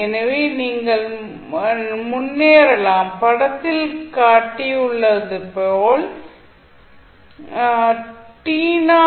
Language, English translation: Tamil, So, here also you can advance or delay